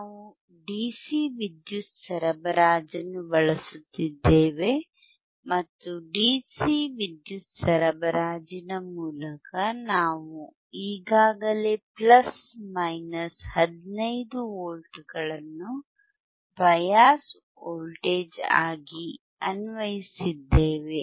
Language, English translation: Kannada, We are using the dcDC power supply, and through dcDC power supply we have already applied plus minus 15 volts as bias voltage